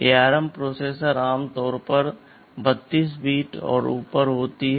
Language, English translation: Hindi, But ARM processors are typically 32 bit and above